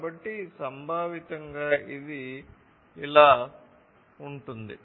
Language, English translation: Telugu, So, conceptually it would look like this